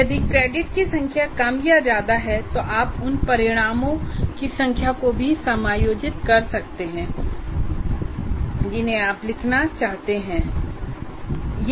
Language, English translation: Hindi, And if the number of credits are more or less, you can also adjust the number of outcomes that you want to write